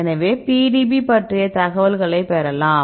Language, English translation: Tamil, So, if you get the information on the PDB